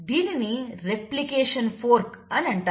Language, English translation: Telugu, So this is a replication fork